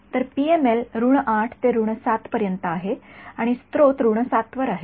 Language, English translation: Marathi, So, the PML is from minus 8 to minus 7 and the source is at minus 7 ok